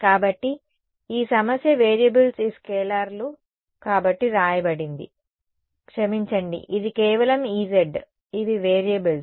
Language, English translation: Telugu, So, this problem has been written as the variables are these scalars right sorry this is just E z these are the variables